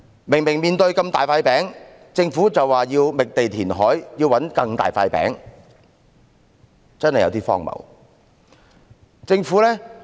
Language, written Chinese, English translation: Cantonese, 明明眼前有這麼大的一塊"餅"，政府卻說要覓地填海，尋找更大的"餅"，真的有點荒謬。, There is such a big pie right before our eyes but the Government says it is necessary to identify sites for reclamation to seek a bigger pie